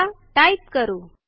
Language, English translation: Marathi, Now, let us start typing